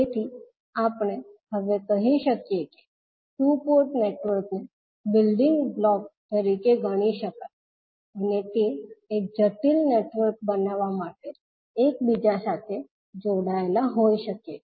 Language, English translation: Gujarati, So we can now say that the two port networks can be considered as a building blocks and that can be interconnected to form a complex network